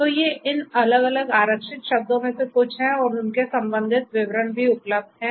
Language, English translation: Hindi, So, these are some of these different reserved words and their corresponding details are also available